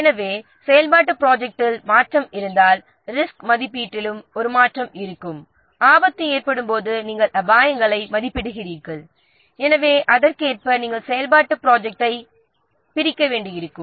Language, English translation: Tamil, So if there is a change in activity plan, there will be a change also in the risk assessment and when risk you are assessing the risk, so you accordingly you might have to divide the activity plan